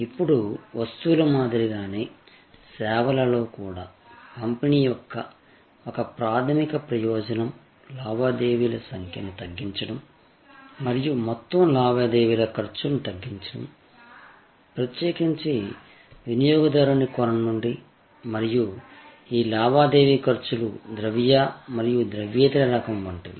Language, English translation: Telugu, Now, just as in case of goods, in services also, one primary purpose of distribution is to reduce the number of transactions and also to reduce the transactions cost overall, particularly, from the perspective of the customer and these transaction costs are both monetary and non monetary type